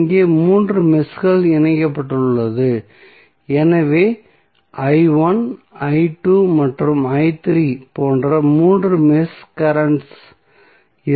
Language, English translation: Tamil, So, here we have three meshes connected so we will have three mesh currents like i 1, i 2 and i 3